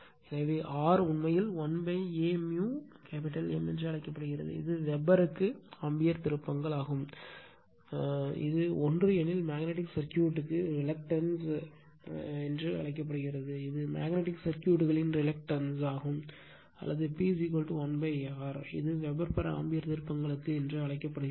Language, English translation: Tamil, So, R actually we call l upon A mu M it is ampere turns per Weber its unity, it is called reluctance of the magnetic circuit right, this is called the reluctance of the magnetic circuit; or P is equal to 1 upon R, it is called Weber per ampere turns right